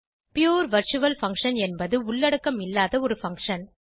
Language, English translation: Tamil, A pure virtual function is a function with no body